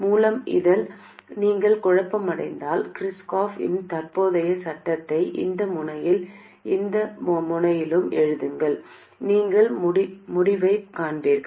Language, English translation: Tamil, By the way, if you are getting confused, simply write the Kirchkoff's current law at this node and at this node and you will find the result